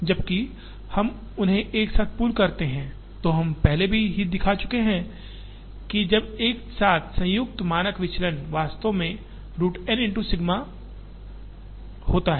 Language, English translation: Hindi, Whereas, when we pool them together, we have already shown that, the standard deviation when combined together is actually root N into sigma